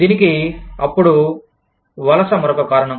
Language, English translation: Telugu, Then, migration is another reason, for this